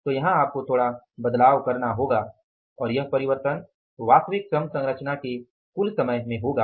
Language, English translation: Hindi, So, here you would have to now make little change and the change would be something like total time of the actual labor composition